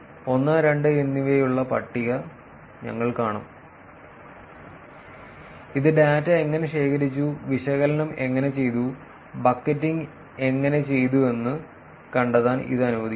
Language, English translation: Malayalam, We will see the table with 0, 1 and 2 that lets this locate the how the data was collected, how the analysis was done, how the bucketing was done